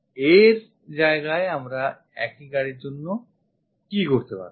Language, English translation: Bengali, Instead of that, what we could have done what we could have done for the same car